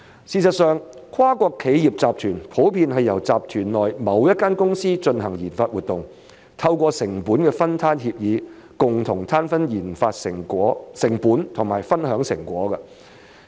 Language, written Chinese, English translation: Cantonese, 事實上，跨國企業集團普遍是由集團內某一間公司進行研發活動，透過成本分攤協議，共同攤分研發成本和分享成果。, In fact it is common for multinational conglomerates to have RD activities conducted by one of the group companies and apportion the RD costs and benefits through cost - sharing agreements